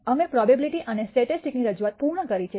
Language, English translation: Gujarati, We have completed the introduction to probability and statistics